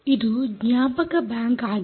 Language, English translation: Kannada, ok, this is the memory bank